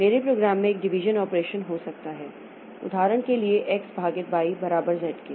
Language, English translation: Hindi, For example, there may be a division operation in my program, z equal to x by y